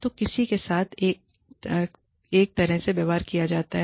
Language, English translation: Hindi, So, somebody is treated, one way